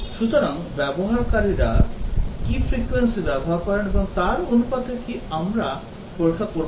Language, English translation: Bengali, So, do we test in proportion to how the in what frequency the users use it